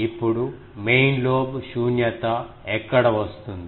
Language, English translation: Telugu, Now, where is the main lobe null occurs